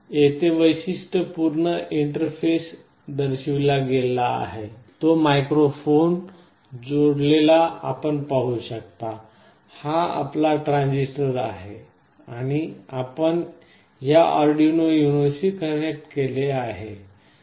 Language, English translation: Marathi, Here the typical interface is shown where you can see the microphone sitting here and the other circuitry you can see here, this is your transistor and you have made the connection with this Arduino UNO